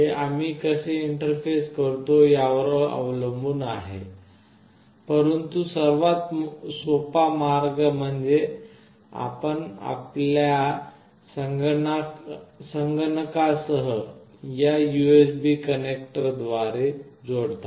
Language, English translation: Marathi, It depends on how do we interface, but the easiest way is like you connect through this USB connector along with your PC